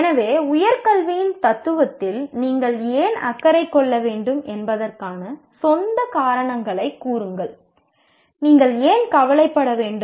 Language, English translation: Tamil, So give you your own reasons why you should be concerned with philosophy of higher education